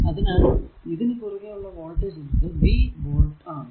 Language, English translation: Malayalam, So, across this is voltage is say ah say v v volt